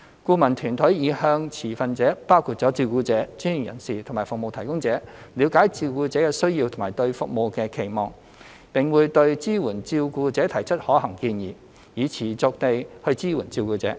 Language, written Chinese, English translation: Cantonese, 顧問團隊已向持份者包括照顧者、專業人士及服務提供者，了解照顧者的需要和對服務的期望，並會對支援照顧者提出可行建議，以持續地支援照顧者。, The consulting team has sought to understand from stakeholders including carers professionals and service providers the needs and service expectations of carers and will put forward feasible recommendations on sustainable support for carers